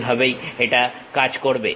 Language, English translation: Bengali, That is the way it works